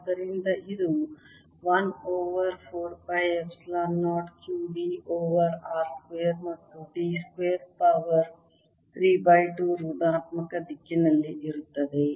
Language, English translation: Kannada, one over four pi epsilon zero, q d over r square plus d square and therefore now this two epsilon zero cancels with this